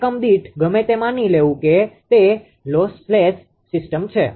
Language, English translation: Gujarati, In per unit whatever assuming it is a lossless system